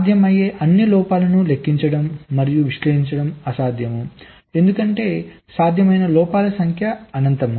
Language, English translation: Telugu, you should say it is impossible, it is impossible to count and analyse all possible faults because the number of possible defects can be infinite